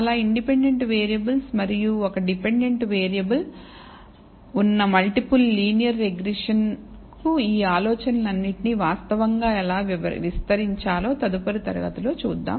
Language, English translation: Telugu, Next class will see how to actually extend all of these ideas to the multiple linear regression which consist of many independent variables and one dependent variable